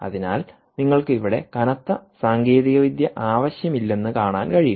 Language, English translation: Malayalam, you dont have to, you dont need heavy technology here